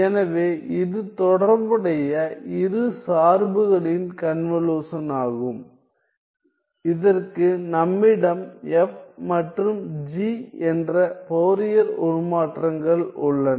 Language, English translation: Tamil, So, this is the convolution of the corresponding to functions for which we have the Fourier transforms capital F and capital G